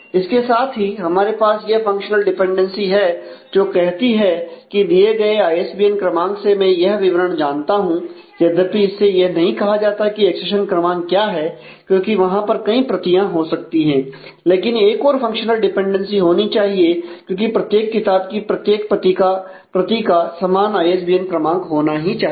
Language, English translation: Hindi, So, with that we have this functional dependency which tells me that given ISBN number, I know these details, but of course, that does not tell me what is the accession number because there could be multiple copies, but another functional dependency must hold because, every copy of the same book must have the same ISBN number